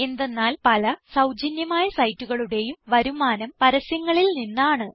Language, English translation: Malayalam, * This is because, many free sites earn their income from ads